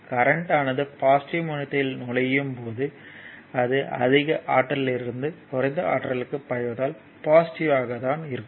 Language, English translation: Tamil, And it is your current is flow entering into the positive terminal, right that is flowing from higher potential to lower potential